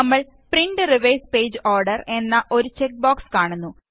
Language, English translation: Malayalam, We see a check box namely Print in reverse page order